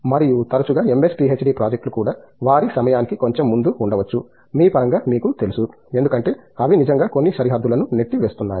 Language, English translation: Telugu, And, often MS, PhD projects are also may be a little ahead of their time, in terms of you know because they are really pushing the boundary of some